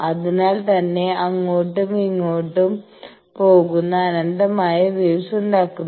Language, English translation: Malayalam, So, there is an infinite such waves going back and forth